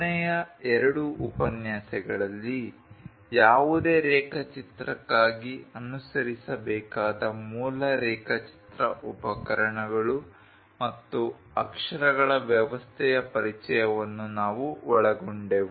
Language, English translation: Kannada, In the last two lectures we covered introduction, basic drawing instruments and lettering to be followed for any drawing